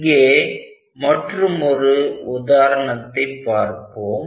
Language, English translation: Tamil, So, we will see may be one more example